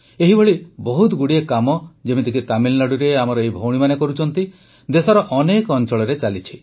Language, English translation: Odia, Similarly, our sisters from Tamilnadu are undertaking myriad such tasks…many such tasks are being done in various corners of the country